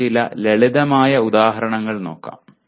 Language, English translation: Malayalam, Let us look at some simple examples